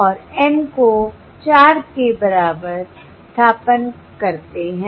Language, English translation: Hindi, you do you do the N equal to four point